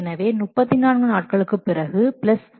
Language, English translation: Tamil, So, after 34 days plus 20